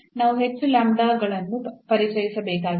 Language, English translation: Kannada, So, we have to introduce more lambdas